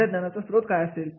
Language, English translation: Marathi, What is the source of your knowledge